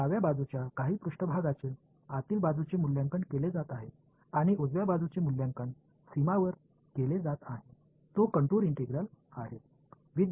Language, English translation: Marathi, Some surface the left hand side is being evaluated inside and the right hand side is being evaluated on the boundary it is a contour integral